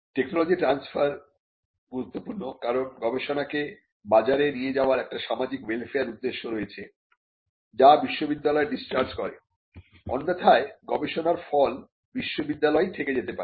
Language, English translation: Bengali, Transfer of technology is also important, because by taking research to market there is a social welfare objective that is discharged by the university, otherwise the product of research could remain in the university itself